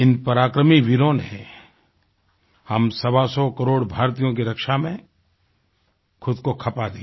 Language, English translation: Hindi, These brave hearts made the supreme sacrifice in securing the lives of a hundred & twenty five crore Indians